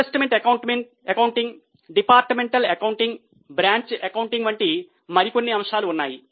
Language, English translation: Telugu, There are a few more concepts like investment accounting, departmental accounting, branch accounting